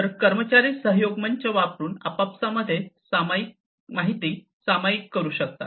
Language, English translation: Marathi, So, employees can share information between themselves using a collaboration platform